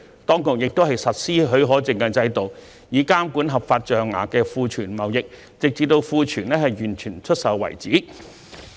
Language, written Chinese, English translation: Cantonese, 當局亦實施許可證制度，以監管合法象牙庫存貿易，直到庫存完全出售為止。, A licensing regime was also put in place to regulate the trade of legally held ivory stock until it is sold off completely